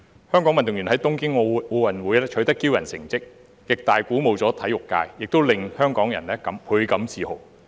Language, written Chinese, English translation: Cantonese, 香港運動員在東京奧林匹克運動會取得驕人的成績，極大地鼓舞了體育界，也令香港人倍感自豪。, The outstanding results of Hong Kong athletes in the Tokyo Olympic Games have been a great inspiration to the sports community and a source of pride for Hong Kong people